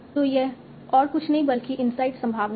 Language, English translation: Hindi, This is nothing but the inside probability